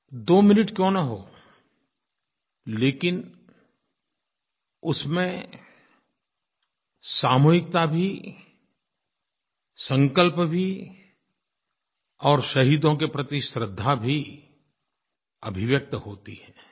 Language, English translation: Hindi, This 2 minutes silence is an expression of our collective resolve and reverence for the martyrs